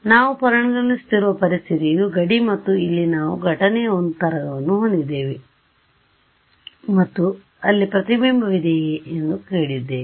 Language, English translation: Kannada, We have the situation we are considering is this is my boundary and I have a wave that is incident over here and we are asking that is there a reflection